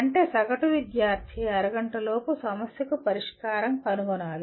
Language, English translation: Telugu, That means an average student should be able to find the solution to a problem within half an hour